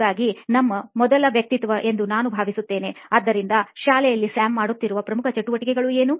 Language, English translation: Kannada, So we have I think our first persona, so in school what would be the core activity that Sam would be doing